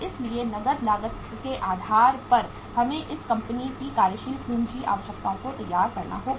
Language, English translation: Hindi, So on the basis of the cash cost we will have to prepare the working capital requirements of this company